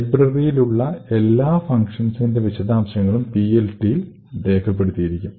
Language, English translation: Malayalam, Each function present in the library has an entry in the PLT